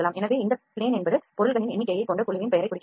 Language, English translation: Tamil, So, this plane indicates the name of the group that contains the number of objects this indicates the name of the object